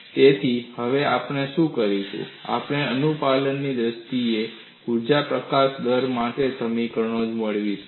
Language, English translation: Gujarati, So, what we will now do is we would obtain expressions for energy release rate in terms of compliance